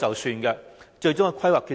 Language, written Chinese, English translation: Cantonese, 如何得出最終的規劃決定？, How do the authorities make the final planning decisions?